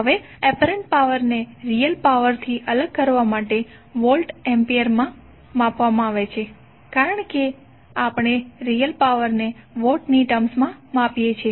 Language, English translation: Gujarati, Now the apparent power is measured in volts ampere just to distinguish it from the real power because we say real power in terms of watts